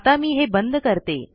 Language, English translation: Marathi, Let me close this